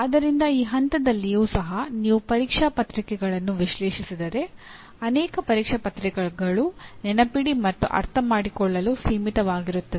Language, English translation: Kannada, so even at this level, if you analyze the examination papers, many not all, many examination papers are confined to Remember and Understand